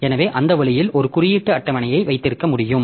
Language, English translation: Tamil, So, that way I can have an index table